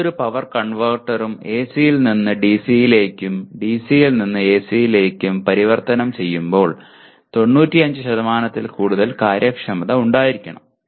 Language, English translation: Malayalam, Any power converter that is when it converts from AC to DC or DC to AC should have efficiency above 95%